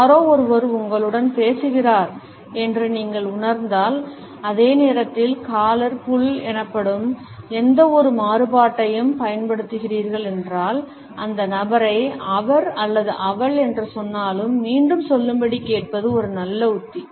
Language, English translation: Tamil, If you feel that somebody is talking to you and at the same time using any variation of what is known as the collar pull, it would be a good strategy to ask the person to repeat, whatever he or she has said or to clarify the point